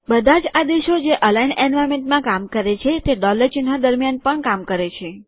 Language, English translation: Gujarati, All commands that work in the aligned environment also work within the dollar symbols